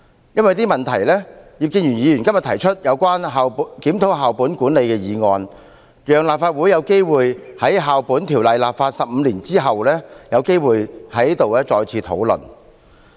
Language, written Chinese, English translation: Cantonese, 因為這些問題，葉建源議員今天提出有關"檢討校本管理的推行"議案，讓立法會有機會在《2004年教育條例》制定15年後有機會在這裏再次討論。, Due to all these problems Mr IP Kin - yuen has proposed the motion today on Reviewing the implementation of school - based management so that the Legislative Council can hold a debate again on the Education Amendment Ordinance 2004 after it has been enacted for 15 years